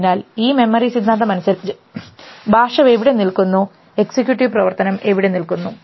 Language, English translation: Malayalam, So, with this memory theory where does the language stand and where does executive function stand